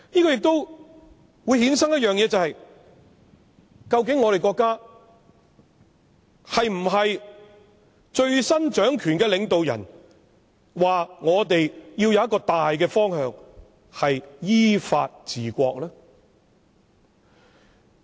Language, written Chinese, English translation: Cantonese, 這亦會衍生一點，國家最新掌權的領導人指我們要有一個大方向，便是依法治國。, The new leader in power of the country says that we need to have a major direction and that is governing the country according to law